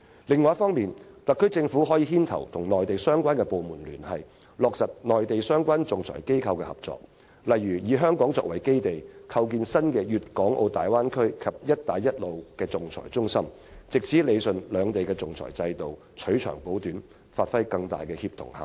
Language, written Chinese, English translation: Cantonese, 第二，特區政府可牽頭與內地相關部門聯繫，落實與內地相關仲裁機構的合作，例如以香港作為基地，構建新的大灣區和"一帶一路"仲裁中心，藉以理順兩地的仲裁制度，取長補短，發揮更大的協同效應。, Second the SAR Government can take the lead to liaise with the Mainland departments concerned on materializing cooperation with the relevant Mainland arbitration institutions such as developing a new arbitration centre based in Hong Kong for the Bay Area and the One Belt One Road as a means of rationalizing the arbitration systems of both places learning from each other and achieving greater synergies